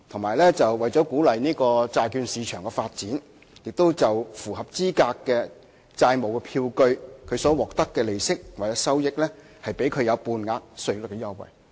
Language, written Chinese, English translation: Cantonese, 另外，為了鼓勵債券市場的發展，政府亦對符合資格的債務票據所獲得的利息或收益，給予半額稅率優惠。, Moreover to promote the development of the bond market half rate tax concessions have also been offered for interest income and trading profits arising from qualifying debt instruments